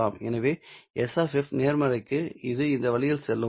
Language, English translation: Tamil, So, for F positive it would be going in this way